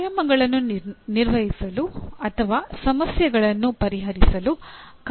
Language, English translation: Kannada, Use procedures to perform exercises or solve problems